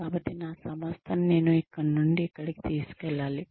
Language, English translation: Telugu, So, what do I need to take my organization, from here to here